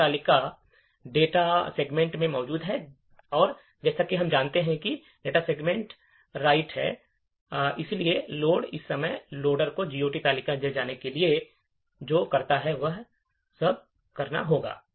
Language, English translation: Hindi, The GOT table is present in the data segment and as we know the data segment is writable, therefore, at load time all that the loader needs to do is go and fill in the GOT table